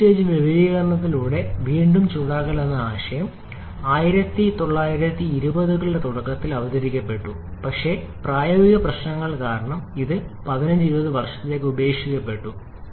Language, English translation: Malayalam, The concept of reheating with multi stage expansion was introduced in early 1920’s but because of practical issues it was abandoned for about 15 20 years